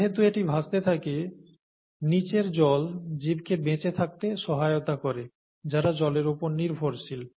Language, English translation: Bengali, Because it floats, the water below can support life that depends on water